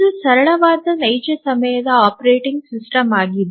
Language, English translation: Kannada, So, this is the simplest real time operating system